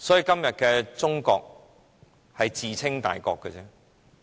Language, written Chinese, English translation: Cantonese, 今天的中國，只是自稱大國而已。, Todays China is merely a self - styled great power